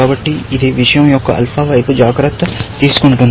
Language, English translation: Telugu, So, this takes care of the alpha side of thing